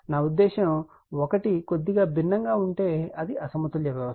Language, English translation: Telugu, I mean if one is different slightly, then it is unbalanced system